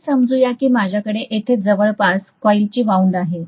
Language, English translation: Marathi, Let us say I am going to have some coil wound around here